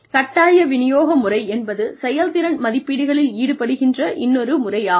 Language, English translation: Tamil, Forced distribution method is the other method of performance appraisals